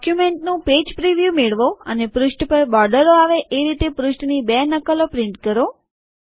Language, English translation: Gujarati, Have a Page preview of the document and print two copies of the document with borders on the page